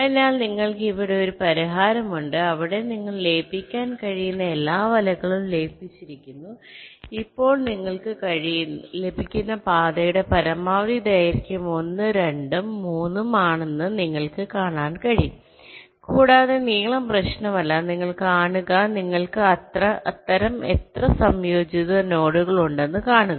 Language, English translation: Malayalam, so you have a solution here where you have merged all the nets that that are possible to merge, and you can see that now the maximum length of the path that you get is one, two and three, and see, length is not the issue